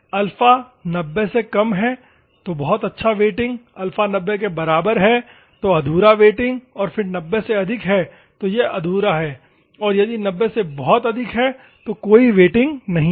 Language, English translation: Hindi, Alpha is less than 90, good wetting, alpha equal to 90, incomplete wetting and again greater than 90, it is incomplete and if it greater 90, no wetting